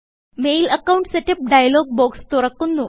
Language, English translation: Malayalam, The Mail Account Setup dialogue box opens